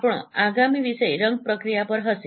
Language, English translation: Gujarati, Our next topic would be on color processing